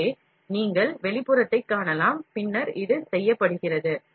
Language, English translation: Tamil, So, the you can see the outer and then this is done